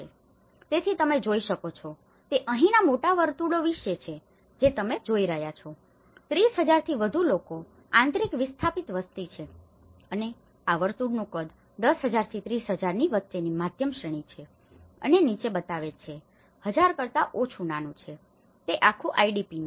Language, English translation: Gujarati, So, what you can see is about the big circles here what you are seeing is itís about more than 30,000 people have been internal displaced populations and this is the size of the circle gives the shows of between 10,000 to 30,000 is the medium range and below less than 1000 is the smaller, it is entire IDPís